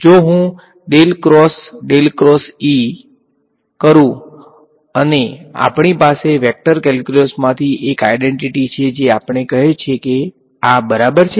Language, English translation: Gujarati, If I do del cross del cross E and we have an identity from the vector calculus which tell us this is equal to